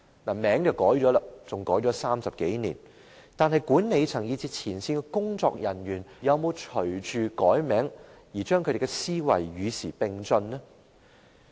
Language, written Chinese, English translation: Cantonese, 名稱更改了30多年，但管理層以至前線工作人員，又有否隨着改名而把思維與時並進呢？, Its name has been changed for some 30 years . But has the mentality of its management and frontline personnel progressed abreast of the times with the change in the departments name?